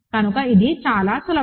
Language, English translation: Telugu, So, this is very easy